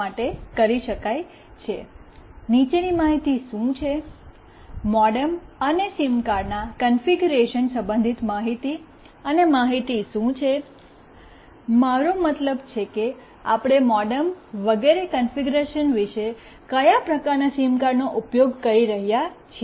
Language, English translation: Gujarati, What are the following information, information and configuration pertaining to MODEM and SIM card what is the information, I mean what kind of SIM card we are using about other configuration regarding the MODEM etc